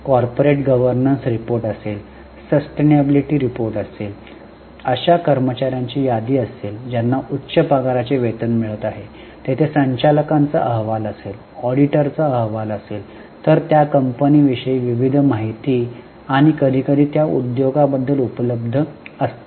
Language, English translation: Marathi, There will be corporate governance report, there will be sustainability report, there will be list of employees who are getting high level of salary, there would be directors report, there will be auditor's report, like that a variety of information about that company and sometimes about that industry is available